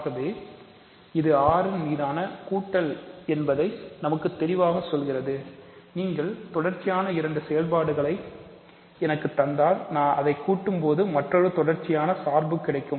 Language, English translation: Tamil, So, this tells me that there is addition on R right, you give me two continuous functions I add them to get another continuous function